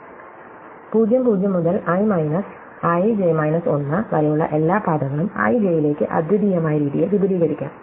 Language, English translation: Malayalam, So, every path from ( to (i 1,j) (i,j 1) can be extended in a unique way to (i,j)